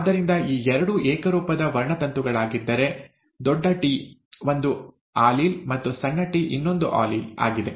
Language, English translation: Kannada, So if these two are homologous chromosomes, capital T is an allele, and small t is another allele